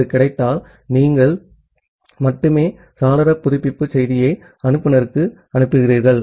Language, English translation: Tamil, If that is become available then only you send the window update message to the sender